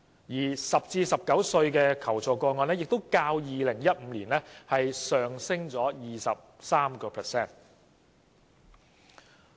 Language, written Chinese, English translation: Cantonese, 此外 ，10 歲至19歲人士的求助個案數字也較2015年上升了 23%。, Furthermore the number of assistance requests from people aged between 10 and 19 also rose by 23 % over 2015